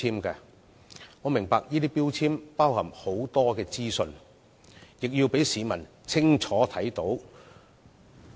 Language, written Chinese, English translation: Cantonese, 有關標籤載列很多資訊，亦要讓市民清楚看到。, Containing much information the relevant labels must also be clearly visible